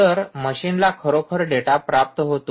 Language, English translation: Marathi, so this machine has now receive the data